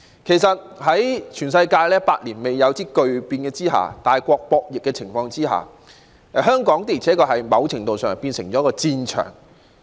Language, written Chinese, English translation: Cantonese, 其實，在全球百年一遇的巨變和大國博弈的情況下，香港的而且確在某程度上成為了戰場。, In fact amidst the once - in - a - century drastic changes worldwide and also the tug of war between great powers Hong Kong has honestly been turned into a battlefield to some extent